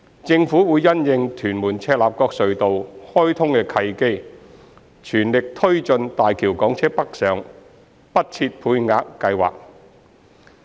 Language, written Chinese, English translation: Cantonese, 政府會因應"屯門─赤鱲角隧道"開通的契機，全力推進大橋港車北上不設配額計劃。, The Government would take the opportunity of the commissioning of the Tuen Mun - Chek Lap Kok Tunnel to press ahead with the Quota - free scheme for Hong Kong private cars travelling to Guangdong via HZMB the Scheme